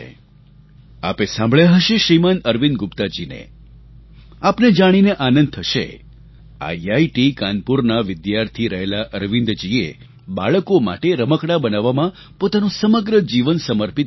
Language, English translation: Gujarati, It will gladden your heart to know, that Arvind ji, a student of IIT Kanpur, spent all his life creating toys for children